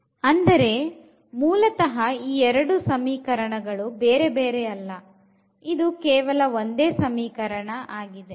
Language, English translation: Kannada, So, basically these are not two different equations this is the same equation we have only 1 equations